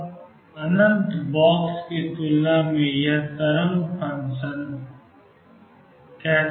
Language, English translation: Hindi, Now, this wave function compared to the infinite box is spread out